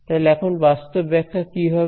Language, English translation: Bengali, So, what is the physical interpretation now